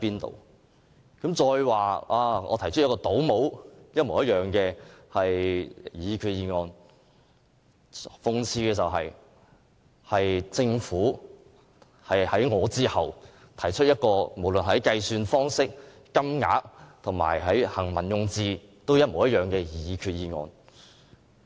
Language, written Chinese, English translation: Cantonese, 他還指我提出與政府一模一樣的擬議決議案，但諷刺的是，政府是在我之後才提出一項無論在計算方式、金額和行文用字均一樣的擬議決議案。, He has also said the resolution proposed by me is essentially identical to the Governments version . This is absurd . It is actually the Government which put forward a resolution which is identical to mine in terms of the methodology amount and drafting